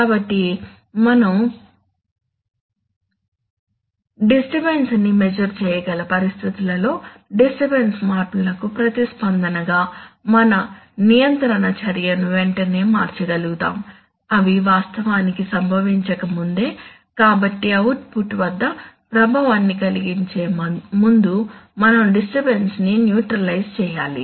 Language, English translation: Telugu, So in situations where we can measure the disturbance we should be able to change our control action immediately in response to disturbance changes, even before they have actually caused, so we should neutralize the disturbance before it can produce an effect at the output